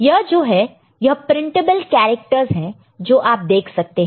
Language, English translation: Hindi, These are mostly these are printable characters that you can see, ok